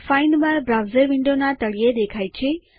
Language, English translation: Gujarati, A Find bar appears at the bottom of the browser window